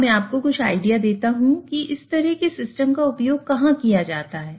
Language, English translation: Hindi, Now, let me give you some idea about where these kind of systems are used